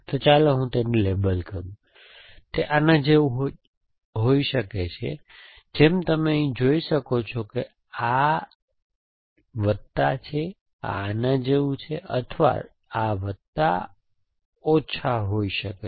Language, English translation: Gujarati, So, let me just label it, it can be like this as you can see here this is plus this is like this or it can be plus minus